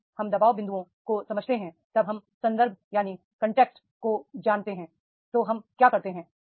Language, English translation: Hindi, When we understand the pressure points, when we know the context, what we do